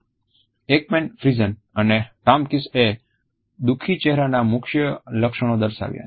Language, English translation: Gujarati, Ekman, Friesen and Tomkins have listed main facial features of sadness as being